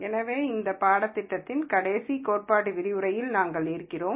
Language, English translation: Tamil, So, we are into the last theory lecture of this course